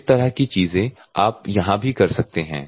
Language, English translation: Hindi, So, the similar things you can do here also